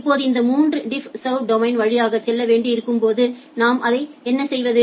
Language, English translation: Tamil, Now when it needs to go through these three DiffServ domain, what we do that